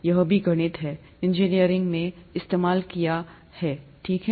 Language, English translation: Hindi, That's also mathematics, heavily used in engineering and so on so forth, okay